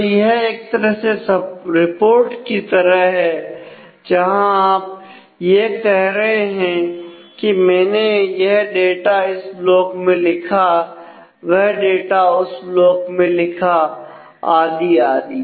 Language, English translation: Hindi, So, you are saying that I have written this data to this block written this data to this block